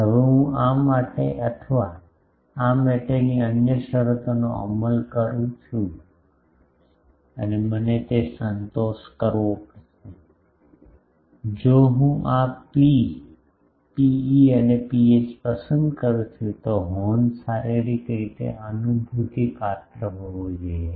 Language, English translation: Gujarati, Now, I enforce on this or another condition for this I will have to satisfy that, if I choose this rho is rho e and rho h, the horn should be physically realizable